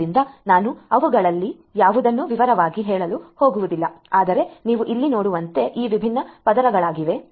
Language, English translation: Kannada, So, I am not going to go through any of them in detail, but as you can see over here these are these different layers